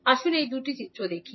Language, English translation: Bengali, Let us see these two figures